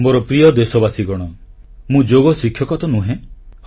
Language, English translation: Odia, My dear countrymen, I am not a Yoga teacher